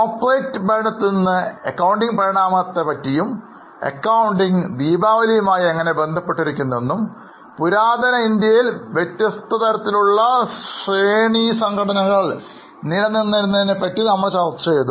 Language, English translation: Malayalam, Then from corporate governance we have also discussed about evolution of accounting, how accounting is related to Diwali, how various shranny types of organizations existed in ancient India